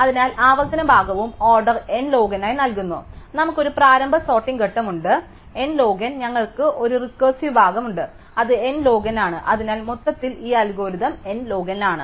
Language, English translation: Malayalam, So, therefore, the recursive part also gives as order n log n, so we have a initial sorting phase which n log n, we have a recursive part which is n log n and therefore, overall this algorithm is n log n